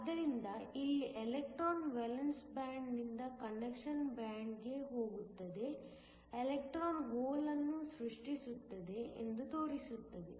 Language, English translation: Kannada, So, let me show that here, an electron goes from the valence band to the conduction band, electron goes creates a hole